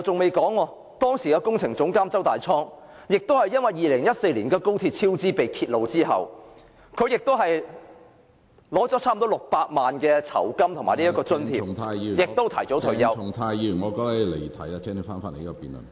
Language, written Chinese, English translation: Cantonese, 其後，前工程總監周大滄也是因為2014年高鐵超支被揭發後，收取了差不多600萬元酬金和津貼便提早退休......, Subsequently CHEW Tai - chong former Projects Director of MTRCL retired early after receiving nearly 6 million in remuneration package after XRLs cost overrun was uncovered in 2014